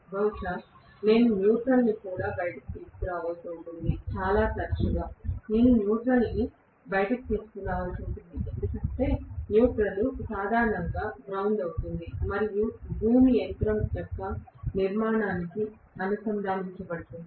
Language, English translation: Telugu, Maybe, I will have to bring out the neutral as well; very often I might have to bring out the neutral because the neutral will be normally grounded and the ground will also be connected to the body of the machine